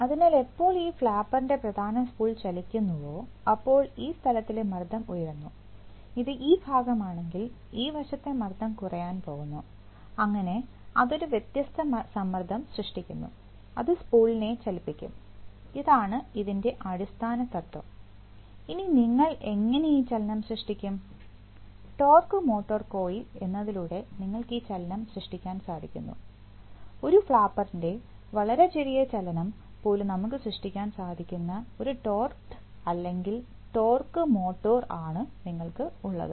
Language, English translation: Malayalam, So when, if the, if the main spool motion of this flapper, then the pressure at this point is going to rise, if it is this side and the pressure at this side is going to fall, so that will create a differential pressure and it will move the spool, this is, this is the basic principle and how do you create this motion, you create this motion by what is known as the torque motor coil, so you have a what sometimes called is called a torqued or sometimes called a torque motor, which can create minuscule motion of this flapper